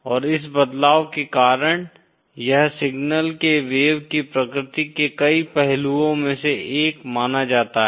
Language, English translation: Hindi, And this causes this in turn is one of the aspects of the wave nature of the signal